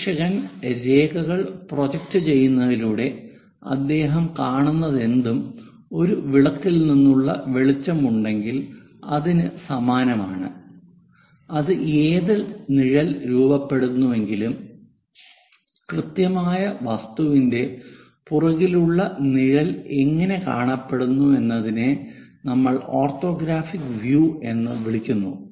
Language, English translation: Malayalam, Observer; whatever he sees by projecting lines is more like if you have a lamp, whatever the shadow it forms and precisely the shadow behind the object the way how it looks like that is what we call this orthographic views